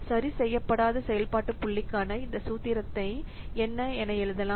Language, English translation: Tamil, So, this formula for on adjusted function point can be written as what